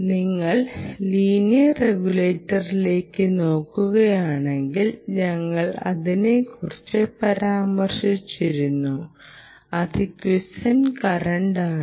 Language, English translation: Malayalam, if you look at the, the linear regulator we did mentioned about the i q, which is the quiescent current, q